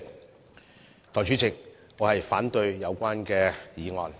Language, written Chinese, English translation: Cantonese, 代理主席，我反對有關議案。, Deputy President I object to the motion